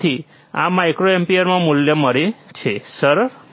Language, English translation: Gujarati, So, we get a value forin microampere, easy